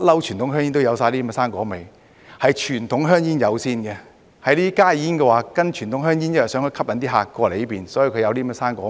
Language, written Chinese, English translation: Cantonese, 傳統香煙一向有水果味，是傳統香煙先有的，加熱煙是跟隨傳統香煙的，因為想吸引顧客轉過來，所以才有水果味。, Fruit flavoured conventional cigarettes always exist . Indeed these flavours are first available in conventional cigarettes and HTPs are merely following the trend of conventional cigarettes in providing fruit favours with a view to attracting customers to switch to HTPs